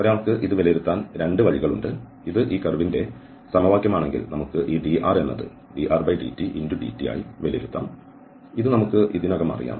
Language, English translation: Malayalam, So, there are 2 ways one can evaluate this the one which we have just seen that if this is the equation of the curve and then we can evaluate this dr as dr, dt, dt, this we know already